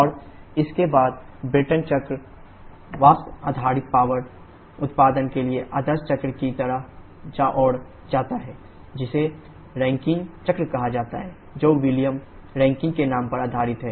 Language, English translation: Hindi, And correspondingly the Brayton cycle leads to the ideal cycle for vapour based power generation which is called the Rankine cycle, based on the name of William Rankine